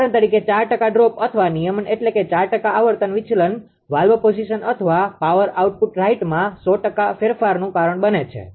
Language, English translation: Gujarati, For example a 4 percent droop or regulation means that a 4 percent frequency deviation causes 100 percent change in valve position or power output right